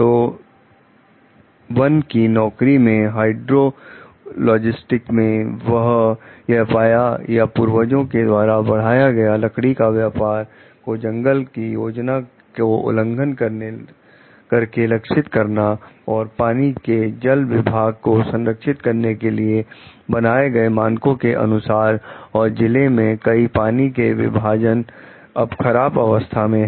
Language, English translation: Hindi, So, a forestry service hydrologist finds that or predecessor boosted timber targets by violating forest plan standards designed for the protection of watersheds, and now many of the watersheds in the district are now in poor condition